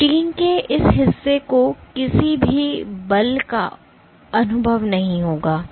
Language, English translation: Hindi, So, this portion of the protein will not experience any forces